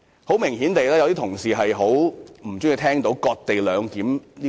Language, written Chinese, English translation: Cantonese, 有些同事顯然很不喜歡聽到"割地兩檢"一詞。, Some colleagues obviously detest the term cession - based co - location arrangement